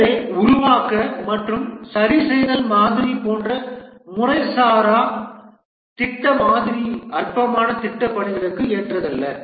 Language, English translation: Tamil, So an informal project model like a build and fixed model is not suitable for non trivial project work